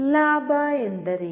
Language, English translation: Kannada, What is a gain